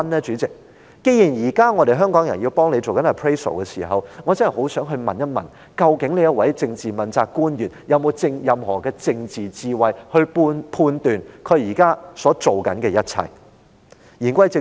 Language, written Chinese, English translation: Cantonese, 主席，既然現時香港人正在為他做 appraisal， 我便很想問一問：究竟這位政治問責官員有否任何政治智慧，判斷自己所做的一切是否正確呢？, Chairman since the people of Hong Kong are currently conducting an appraisal on him I would like to ask does this politically accountable official have any political wisdom to judge whether what he has done is correct?